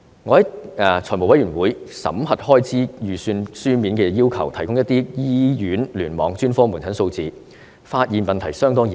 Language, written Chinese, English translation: Cantonese, 我在財務委員會審核開支預算時，書面要求當局提供一些醫院聯網專科門診數字，發現問題相當嚴重。, While the Finance Committee was scrutinizing the estimates of expenditure I raised a written request to the authorities for providing some figures on the specialist outpatient clinics of hospital clusters and I find that the problem is rather serious